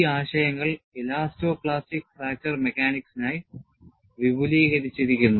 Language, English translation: Malayalam, And, these concepts are extended for elasto plastic fracture mechanics